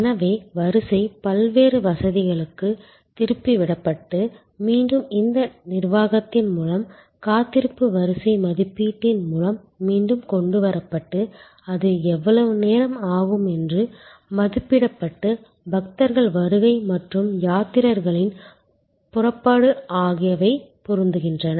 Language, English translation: Tamil, So, the queue is diverted to various other facilities and again brought back with this management of the waiting line estimation of how long it will take and so arrival of pilgrims and departure of pilgrims are matched